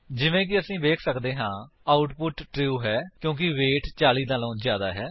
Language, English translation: Punjabi, As we can see, the output is true because weight is greater than 40